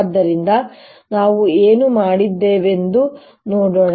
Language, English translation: Kannada, so let's see what we did